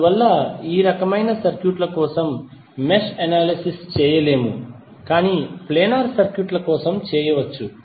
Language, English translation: Telugu, So that is why the mesh analysis cannot be done for this type of circuits but it can be done for planar circuits